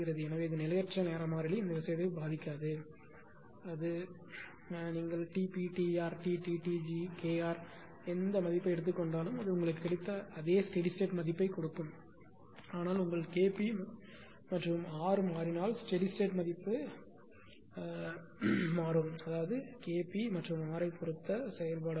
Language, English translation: Tamil, It so; that means, whatever whatever value you take Tp Kr Tr Tt Tg ultimately it will give you the same statistic value whatever you got, but if you are K p and are changes naturally the steady state value our function of K p and R